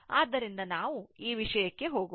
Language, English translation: Kannada, So, let us go to the this thing